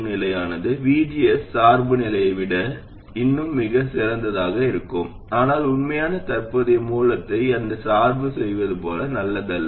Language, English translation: Tamil, It is still very likely to be much better than constant VG is biasing but it is not as good as biasing it with an actual current source